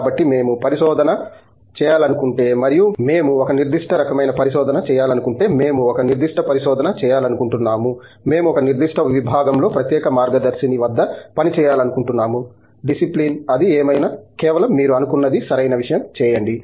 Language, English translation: Telugu, So, if we want to do research and we want to do a particular kind of research, we want to do a particular topic of research, we want to work at the particular guide in a particular department, discipline, whatever it is, just do what you think is a right thing